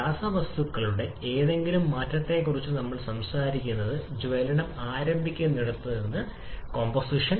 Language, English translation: Malayalam, We are talking about any change in chemical composition just from the point where combustion is initiated